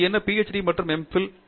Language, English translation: Tamil, That, what PhD and M Phil